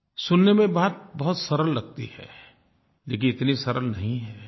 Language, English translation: Hindi, It sounds very simple, but in reality it is not so